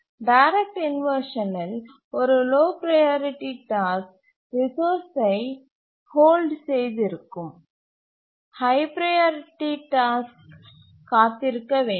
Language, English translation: Tamil, Let me repeat again that in a direct inversion, a lower priority task is holding a resource, the higher priority task has to wait